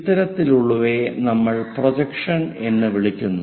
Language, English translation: Malayalam, The other kind of projections are called parallel projections